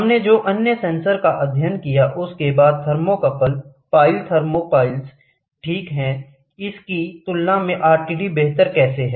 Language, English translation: Hindi, What are the other sensors we studied, thermocouple then, thermopiles, ok, compared to this, how is RTD better